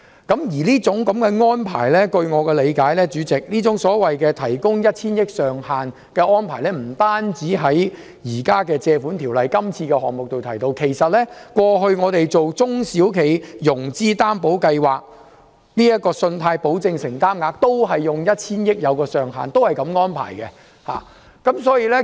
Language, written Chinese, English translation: Cantonese, 代理主席，據我理解，這種提供 1,000 億元上限的安排，並非只見於現時根據《借款條例》提出的擬議決議案，過去我們推行中小企融資擔保計劃時，信貸保證承擔額亦是以 1,000 億元為上限，是同樣的安排。, Deputy President to my understanding such an arrangement of providing for a cap of 100 billion is found not only in the proposed resolution currently moved under the Loans Ordinance . A total loan guarantee commitment capped at 100 billion was also provided for the implementation of the SME Financing Guarantee Scheme in the past